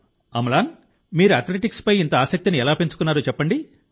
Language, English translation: Telugu, Amlan, tell me how you developed so much of interest in athletics